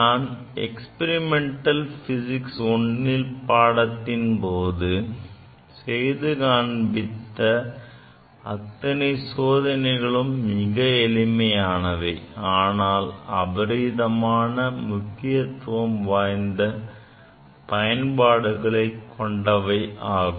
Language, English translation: Tamil, So, whatever experiment we have done in lab in experimental physics I, during experiment physics I, these are simple experiments, but it has enormous importance in application